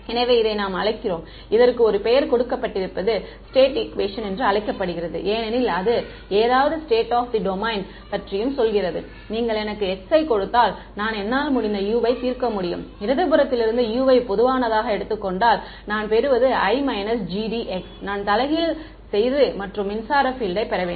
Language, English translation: Tamil, So, we call this what this is given a name is call the state equation because it tells something about the state of the domain and if I am if I if you give me x I can solve for u right I can take u common from the left hand side I will get identity minus G D x which I have to invert and get the electric field right